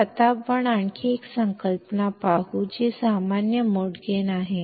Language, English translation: Marathi, So, now let us see another concept, which is the common mode gain